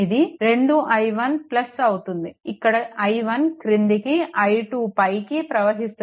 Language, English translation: Telugu, It will be 2 i 1 plus it will be i 1 downwards i 2 upwards